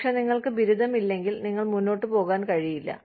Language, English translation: Malayalam, But, if you do not have the degree, you just cannot move on